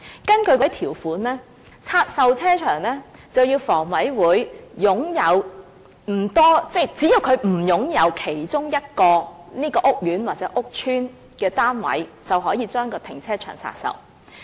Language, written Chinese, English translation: Cantonese, 根據那些條款，要拆售停車場，房委會必須擁有不多......即只要它不擁有該屋苑或屋邨的其中一個單位，停車場便可以拆售。, According to those conditions if the car parks are to be divested HKHA must be in possession of not more thanthat is if it does not own any of the units in a housing estate the car parks can be divested